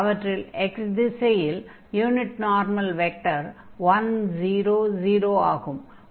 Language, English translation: Tamil, So, in this direction the unit normal vector is given by this 1, 0, 0